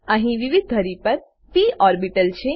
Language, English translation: Gujarati, Here are p orbitals in different axes